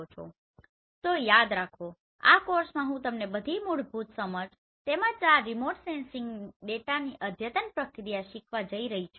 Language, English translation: Gujarati, So remember here in this course I am going to teach you all the basic understanding as well as the advanced processing of this remote sensing data